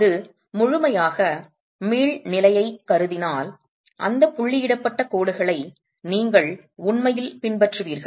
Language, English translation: Tamil, If it were assuming fully elastic condition you will have, you will actually follow those dotted lines there